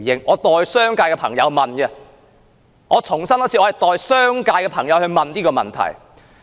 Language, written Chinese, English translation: Cantonese, 我代商界的朋友提出這個問題，我再重申，我代商界的朋友提出問題。, I am asking this question on behalf of my friends in the business community . Let me reiterate that I am asking this question on behalf of my friends in the business community